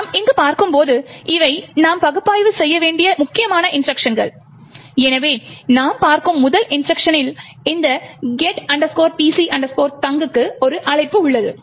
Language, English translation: Tamil, As we see over here these are the important instructions which we have to analyse, so first instruction we see is that there is a call to this get pc thunk